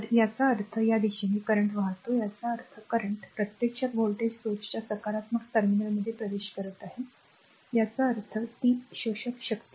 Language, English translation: Marathi, So; that means, the current is flowing in this direction current is flowing in this direction; that means, the current actually entering into the positive terminal of the voltage source; that means, it is absorbing power